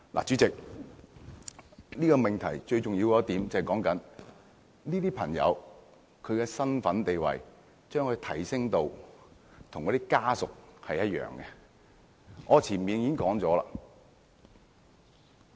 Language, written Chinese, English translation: Cantonese, 主席，這個命題最重要的一點就是，這些同性伴侶的身份地位，是否應提升至與親屬一樣。, Chairman the most important point of this proposition is whether or not the capacity or status of a same - sex partner should be elevated to that of a relative